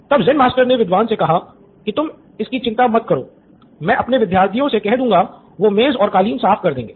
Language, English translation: Hindi, So Zen Master said it’s okay, I will get one of my students to fix the carpet and the table